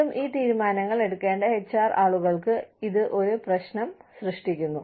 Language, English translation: Malayalam, And again, this poses a problem, for the HR people, who have to take these decisions